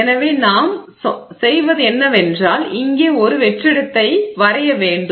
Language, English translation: Tamil, So, what we do is we draw vacuum here